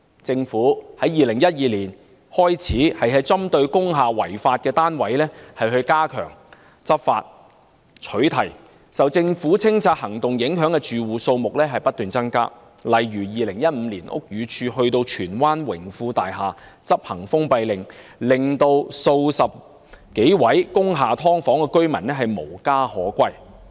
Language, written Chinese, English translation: Cantonese, 政府自2012年起針對工廈違法單位加強執法和取締，受政府清拆行動影響的住戶數目不斷增加，例如屋宇署在2015年到荃灣榮豐工業大廈執行封閉令，數十名工廈"劏房"居民無家可歸。, The Government has stepped up enforcement actions and imposed bans against unlawful units in industrial buildings since 2012 . The number of households affected by the Governments clearance operations has continuously been on the rise . For instance the Buildings Department executed a closure order at Wing Fung Industrial Building Tsuen Wan in 2015 rendering dozens of people living in subdivided units in that industrial building homeless